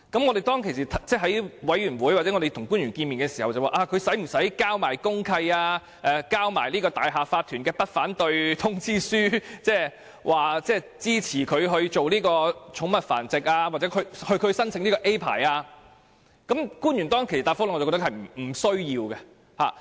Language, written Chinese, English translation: Cantonese, 我們在小組委員會會議上或與官員會面時曾提出，某人是否需要提交公契或大廈業主立案法團的不反對通知書，以示支持他進行寵物繁殖或申請甲類牌照，但官員當時的答覆是不需要。, We have asked at meetings of the Subcommittee or at meetings with officials whether a person would be required to provide the deed of mutual covenant DMC or a notice of non - objection from the owners corporation to indicate support for his pet breeding activity or his application for Category A licence . The officials replied at that time that there were no such requirements